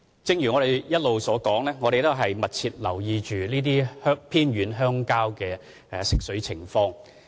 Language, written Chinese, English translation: Cantonese, 正如我所說，我們一直密切留意這些偏遠鄉村的食水供應情況。, As I have mentioned we have all along been closely monitoring the supply of potable water in these remote villages